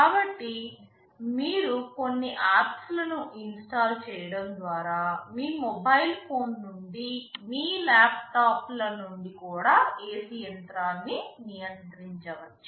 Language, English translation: Telugu, So, you can control the AC machine even from your mobile phone, even from your laptops by installing some apps